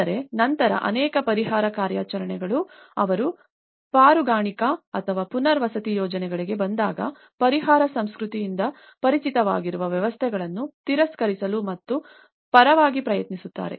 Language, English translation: Kannada, But then the many of the relief operations, when they come into the rescue or the rehabilitation projects, they try to reject and in favour of the systems familiar to an exercised by the relief culture